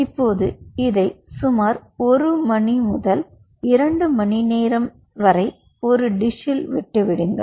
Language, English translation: Tamil, now you leave this in a dish for approximately one to two, two hours